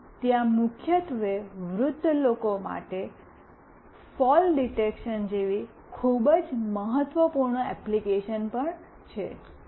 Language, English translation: Gujarati, And also there is a very vital application like fall detection mainly for elderly people